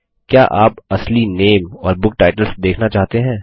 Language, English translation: Hindi, Which would you like to see real names and book titles